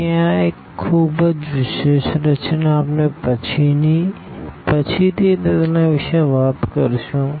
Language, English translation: Gujarati, So, this a very very special structure we will be talking about more later